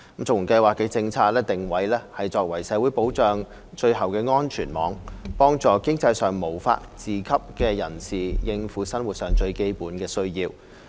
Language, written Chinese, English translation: Cantonese, 綜援計劃的政策定位是作為社會保障的最後安全網，幫助經濟上無法自給的人士應付生活最基本的需要。, The CSSA Scheme is in terms of policy positioning the safety net of last resort of social security helping those who cannot support themselves financially to meet their most basic living needs